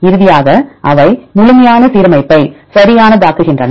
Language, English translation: Tamil, Finally, they make the complete the alignment right